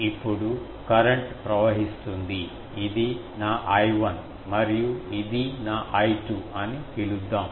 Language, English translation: Telugu, Now, current flowing let me call that this is my, I 1 and this is my I 2